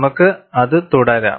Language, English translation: Malayalam, We can carry on with it